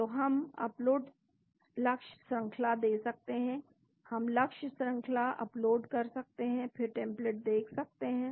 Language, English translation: Hindi, so we can give the upload target sequence, we can upload target sequence then search for templates